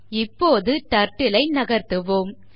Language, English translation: Tamil, Lets now move the Turtle